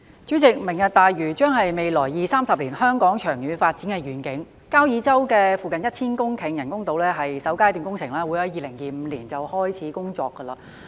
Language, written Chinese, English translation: Cantonese, 主席，"明日大嶼"將是未來二三十年香港長遠發展的願景，交椅洲附近1000公頃人工島是首階段工程，會在2025開始工作。, President Lantau Tomorrow will be the vision for the long - term development of Hong Kong in the next two or three decades . The construction of artificial islands with an area of 1 000 hectares around Kau Yi Chau being the first phase of works will commence in 2025